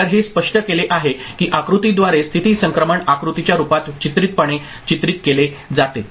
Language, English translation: Marathi, So, that is explained, that is visualized pictorially in the form of state transition diagram through a diagram